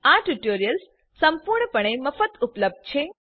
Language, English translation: Gujarati, These tutorials are available absolutely free of cost